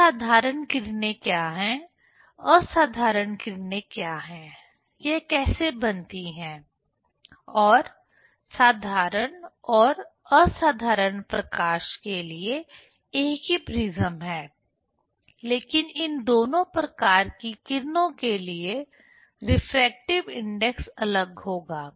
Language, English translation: Hindi, So, what is ordinary, what is extraordinary rays, how it is formed and for ordinary and extraordinary light this same prism, but refractive index will be different for these two type of rays